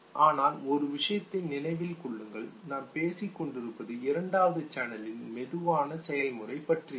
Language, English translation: Tamil, But remember one thing the slow process the second channel that we were talking about